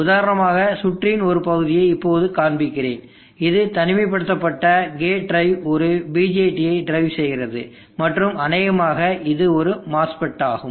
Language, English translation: Tamil, Now let me show you an example of this portion of the circuit this isolated gate drive driving a BJT and also probably a mass fit